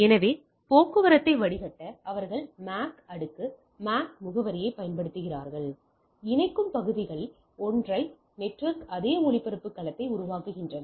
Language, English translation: Tamil, So, they use MAC layer, MAC address for filtering traffic; connecting segments form a single network same broadcast domain